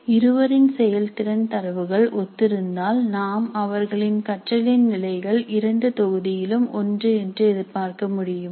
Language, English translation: Tamil, And if the performance data is similar, can we expect that the level of learning is also similar in both batches